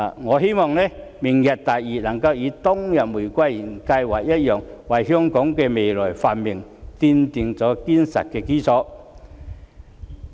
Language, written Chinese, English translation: Cantonese, 我希望"明日大嶼"能夠與當日的玫瑰園計劃一樣，為香港未來的繁榮，奠定堅實的基礎。, I hope that Lantau Tomorrow like the Rose Garden Project back in those years will lay a solid foundation for the future prosperity of Hong Kong